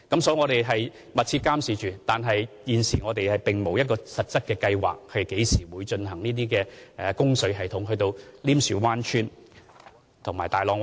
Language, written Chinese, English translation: Cantonese, 所以，我們會密切監察情況，但現時並無實質計劃將供水系統伸延至稔樹灣村和大浪村。, Therefore we will closely monitor the situation . But at present we have no concrete plan to extend the water supply system to Nim Shue Wan Village and Tai Long Village